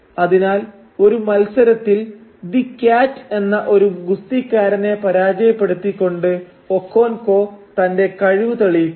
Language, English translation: Malayalam, So, Okonkwo proves his prowess by defeating in a famous match, he defeats a well known wrestler called the Cat